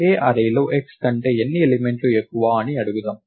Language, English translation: Telugu, Let us ask in the array A how many elements are greater than x